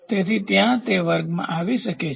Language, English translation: Gujarati, So, there it can come into that category